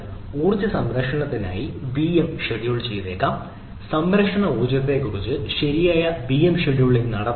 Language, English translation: Malayalam, so one may be scheduled vms to conserve energy, whether we can have proper vm scheduling on the conserve energy